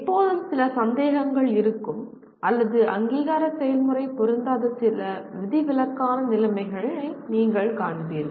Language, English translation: Tamil, There will always be some misgivings or you will find some exceptional conditions under which the accreditation process does not suit